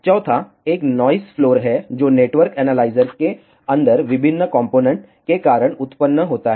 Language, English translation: Hindi, Fourth one is the noise floor, which arises due to various components inside the network analyzer